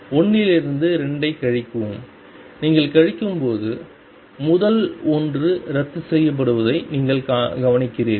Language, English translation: Tamil, Subtract 2 from 1 and when you subtract you notice that the first one cancels